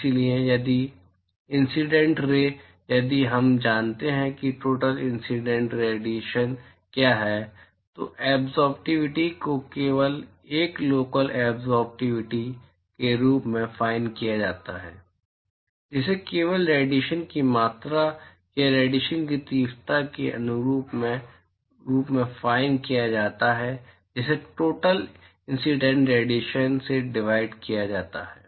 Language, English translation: Hindi, So, if the incident ray if we know what are the total incident radiation then the absorptivity is simply defined as a local absorptivity is simply defined as the ratio of the amount of radiation or intensity of radiation that is absorbed divided by the total incident radiation